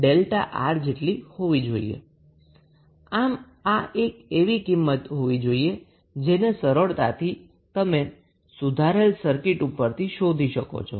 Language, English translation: Gujarati, So, this would be the value you can simply calculate with the help of the updated circuit